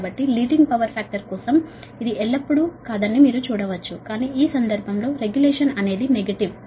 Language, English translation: Telugu, right so for leading power factor, you can see that it is not always, but in this case that regulation is negative, right so